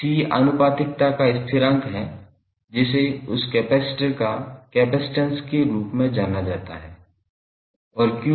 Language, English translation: Hindi, C is the constant of proportionality which is known as capacitance of that capacitor